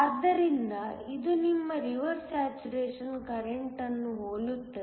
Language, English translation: Kannada, So, it will be very similar to your reverse saturation current